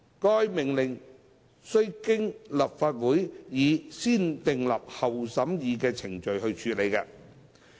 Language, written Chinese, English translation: Cantonese, 該命令須經立法會以先訂立後審議的程序處理。, The order is subject to the negative vetting procedure of the Legislative Council